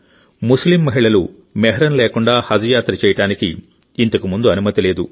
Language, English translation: Telugu, Earlier, Muslim women were not allowed to perform 'Hajj' without Mehram